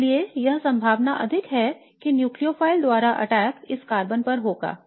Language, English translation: Hindi, So therefore it is more likely that the attack by the nucleophile will happen at this carbon